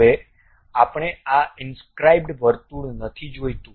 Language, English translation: Gujarati, Now, we do not want this inscribed circle